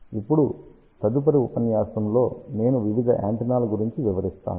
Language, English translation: Telugu, Now, in the next lecture, I will talk about various antennas